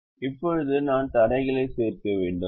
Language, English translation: Tamil, now i have to add the constraints